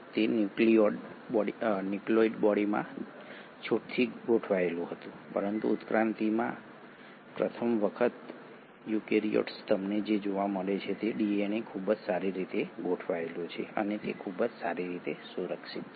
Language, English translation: Gujarati, So what you had seen in prokaryotes was DNA was loosely arranged in a nucleoid body but what you find in eukaryotes for the first time in evolution that the DNA is very well organised and it is very well protected